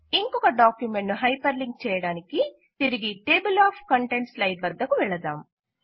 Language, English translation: Telugu, To hyperlink to another document, lets go back to the Table of Contents slide